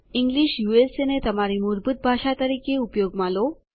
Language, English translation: Gujarati, Use English as your default language